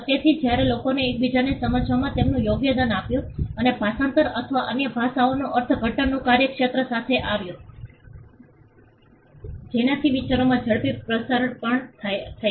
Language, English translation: Gujarati, So, when people started moving that also contributed to them understanding each other and the entire the entire field of translation or interpreting other languages came up which also led to the quick spread of ideas